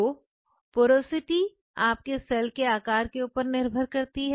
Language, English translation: Hindi, So, porosity is a function of your cell size